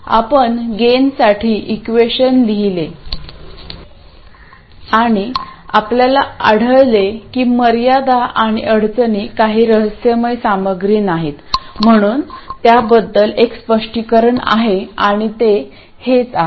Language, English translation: Marathi, We wrote the expression for the gain and found the constraints and the constraints are not some mysterious stuff, so there is a very obvious explanation for it and this is it